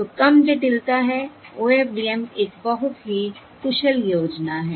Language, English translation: Hindi, O, OFDM is a very efficient scheme